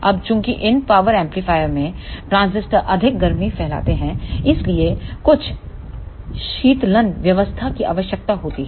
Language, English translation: Hindi, Now, since the transistor in these power amplifiers dissipate more heat, so there is a need of some cooling arrangement